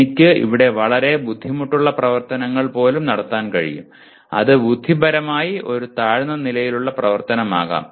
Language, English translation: Malayalam, I can have very difficult activity even here; which is intellectually is a lower level activity